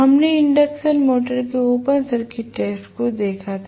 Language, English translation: Hindi, We had seen the open circuit test of the induction motor